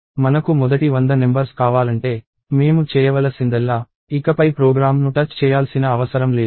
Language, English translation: Telugu, If I want the first hundred numbers, let us say, all I have to do is I do not have to go and touch the program anymore